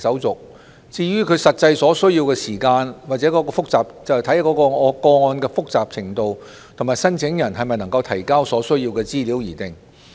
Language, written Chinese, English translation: Cantonese, 至於開戶所需要的實際時間，則視乎個案的複雜程度及申請人能否提交所需資料而定。, As for the actual time required for opening a bank account it depends on the complexity of the case and whether the applicant is able to submit the information required